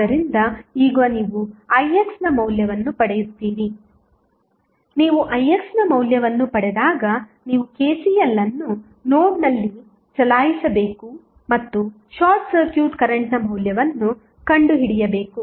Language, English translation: Kannada, So, now, you get you get the value of Ix, when you get the value of Ix you have to just run the KCL at node and find out the value of the short circuit current